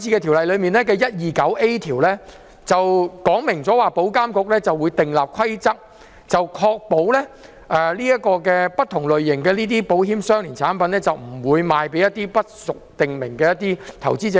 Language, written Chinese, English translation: Cantonese, 條例草案第 129A 條說明，保險業監管局會訂立規則，確保不同類形的保險相連產品不會售予一些不屬訂明範圍的投資者。, Section 129A stipulates that the Insurance Authority will make rules to ensure the prohibition of the selling of various types of insurance - linked securities to any person other than an investor falling within a type prescribed in the rules